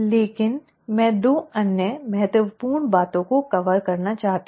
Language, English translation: Hindi, But, I want to cover 2 other important things